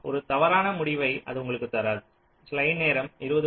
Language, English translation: Tamil, that will not give you an incorrect result